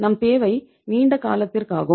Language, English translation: Tamil, Our requirement is long term